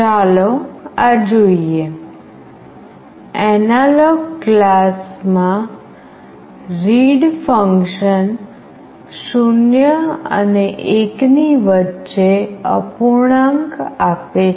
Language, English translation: Gujarati, Let us see this, the read function in the AnalogIn class returns a fraction between 0 and 1